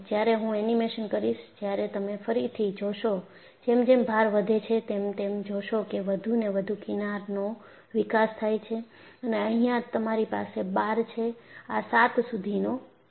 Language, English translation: Gujarati, whenIWhen I do the animation, again you will find, as the load is increased, you see more and more fringes are developed, and here you have the bar; this goes up to 7